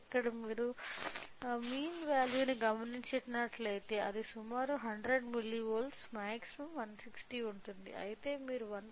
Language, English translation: Telugu, So, here if you observe the mean value it is a approximately 100 milli volts the maximum is 160; whereas, if you observe the output of 1